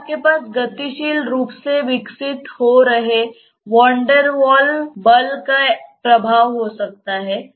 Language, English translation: Hindi, Then you also have a dynamically evolving maybe Van Der Waal s force of interaction